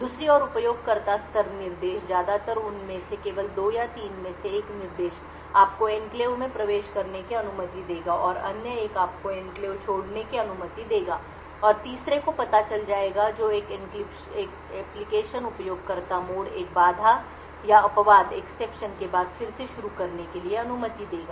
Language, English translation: Hindi, The user level instructions on the other hand mostly just 2 or 3 of them one instruction will permit you to enter into the enclave and other one will permit you to leave the enclave and the third one would know as a resume would permit an application in user mode to resume after a interrupt or exception has occurred